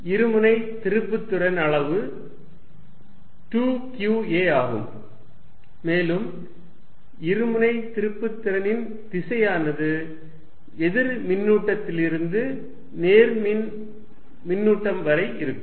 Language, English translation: Tamil, So, that the magnitude of dipole moment is given by 2qa, and the direction of dipole moment is from negative to positive charge